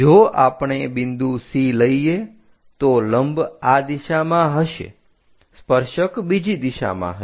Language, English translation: Gujarati, If we are picking C point normal will be in that direction, tangent will be in other direction